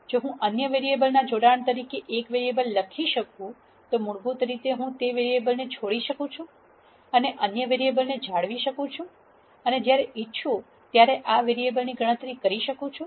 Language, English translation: Gujarati, If I can write one variable as a combination of other variables then basically I can drop that variable and retain the other variables and calculate this variable whenever I want